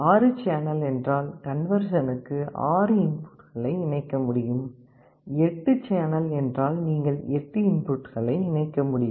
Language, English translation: Tamil, 6 channel means you could connect 6 inputs for conversion; 8 channel means you could connect 8 inputs